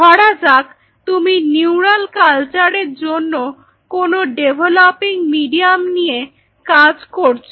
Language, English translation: Bengali, So, that means suppose you are working on developing a medium for neural culture neurons right